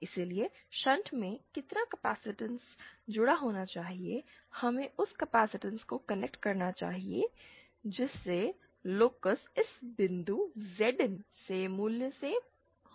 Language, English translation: Hindi, So, how much capacitance should be connected in shunt, we should connect that much capacitance that will cause the locus to move from this point Zin to the origin